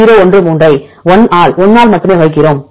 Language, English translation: Tamil, 013 multiplied by only 1 divided by only 1